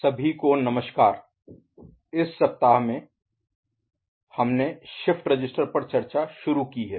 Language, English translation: Hindi, Hello everybody, this week we have started discussion on shift register